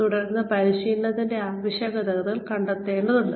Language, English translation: Malayalam, And then, the training needs, need to be figured out